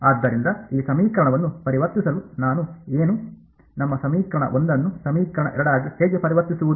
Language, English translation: Kannada, So, to convert this equation what would I, what is the how do I convert our equation 1 into equation 2